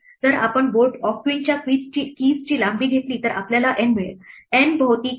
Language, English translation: Marathi, If we take the length of the keys of board of queen we get n